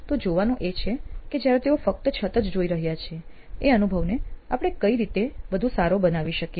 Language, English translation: Gujarati, It is to see how can we make it better when all they are seeing is the roof